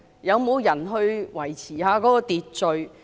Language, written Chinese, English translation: Cantonese, 有沒有人維持秩序？, Should there be someone to maintain order?